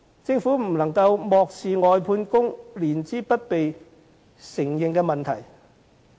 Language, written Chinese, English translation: Cantonese, 政府不能漠視外判工人年資不被承認的問題。, The Government must not turn a blind eye to the problem of non - recognition of the years of service of these workers